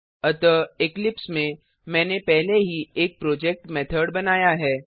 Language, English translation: Hindi, So, in the eclipse, I have already created a project Methods